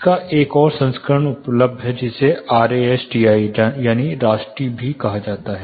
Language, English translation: Hindi, There is another version of it available called RASTI